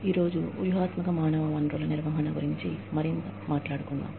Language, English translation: Telugu, Today, we will talk more about, Strategic Human Resource Management